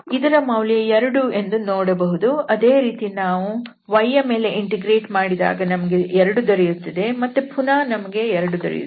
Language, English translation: Kannada, So this is the value coming as 2 there and if we integrate then the, this one with respect to y we will get another 2 and then we will get 2